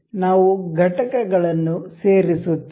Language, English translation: Kannada, We will insert components